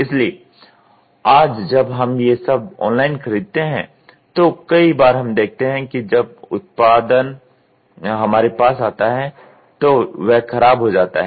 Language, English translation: Hindi, So, today when we do all these online purchase many a times we see when the product comes to us it gets damaged